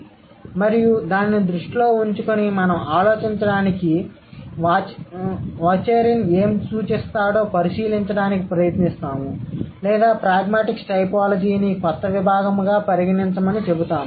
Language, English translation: Telugu, So, and keeping that in mind, we will try to have a look at what Varsurin would suggest to, let's say, think about or to consider pragmatic typology as a newer discipline